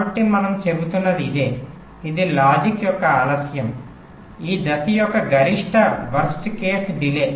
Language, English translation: Telugu, so what we are saying is that this is the delay of the logic, maximum worst case delay of this stage